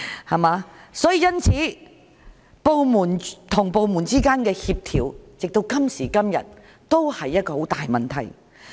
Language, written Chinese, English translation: Cantonese, 直到今時今日，部門之間的協調仍是一個很大的問題。, Until now coordination among various government departments is a big problem